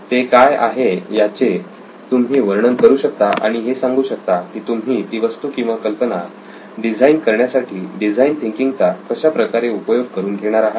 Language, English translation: Marathi, You describe what that is and you describe how you would use a design thinking approach to design that object or idea that you are thinking about, right